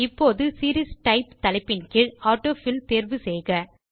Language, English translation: Tamil, Now under the heading, Series type, click on the AutoFill option